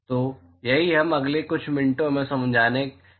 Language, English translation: Hindi, So, that is what we are going to explain in a next few minutes